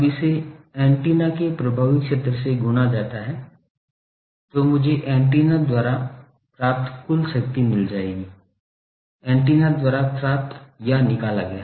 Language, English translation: Hindi, Now, that multiplied by effective area of the antenna that should give me the total power received by the antenna, received or extracted by the antenna